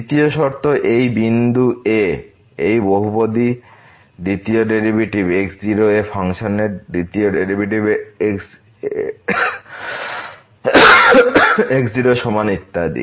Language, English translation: Bengali, The third condition the second derivative of this polynomial at this point is equal to the second derivative of the function at the and so on